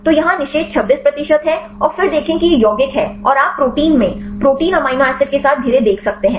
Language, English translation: Hindi, So, here the inhibition is 26 percentage and then see this is the compound and you can see the surrounded with the protein amino acids in the protein